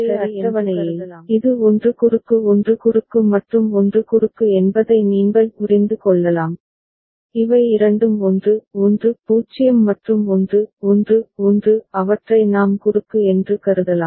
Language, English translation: Tamil, So, in the corresponding table, you can understand that this is 1 cross 1 cross then 1 cross and this two are 1 1 0 and 1 1 1 we can consider them as cross